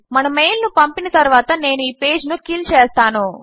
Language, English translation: Telugu, After sending our mail Ill just kill the page